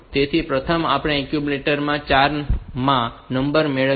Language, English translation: Gujarati, So, first we get the number into the accumulator